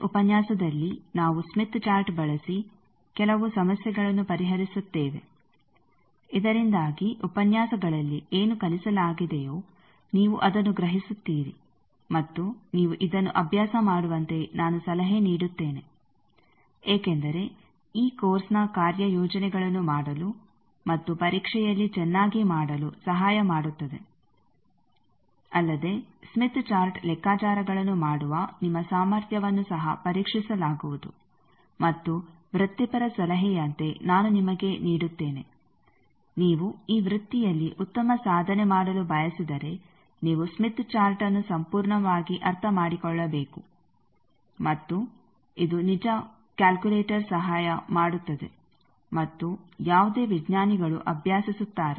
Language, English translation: Kannada, In this lecture, solve some problems using Smith Chart, so that whatever is taught in the lectures you grasp and I also advice that you practice this because both to do the assignments of this course and doing at the examination will also test your ability to do smith chart calculations that will be tested, and also as a professional advice I will give you that if you one to excel in this are a profession you need to thoroughly understands smith chart and this should be a true like calculator helps and any scientist is studies